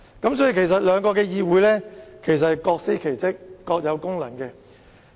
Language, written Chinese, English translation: Cantonese, 因此，兩個議會其實是各司其職，各有功能。, Hence both Councils are actually playing their respective roles with individual functions